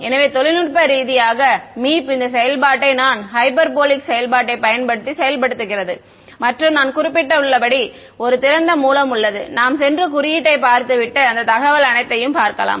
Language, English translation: Tamil, So, technically Meep is implementing this turn on function using tan hyperbolic function and as I mentioned there is a open source we can go and look at the code and see all that information